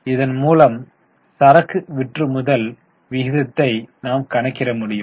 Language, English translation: Tamil, Now we can also calculate other type of turnover ratios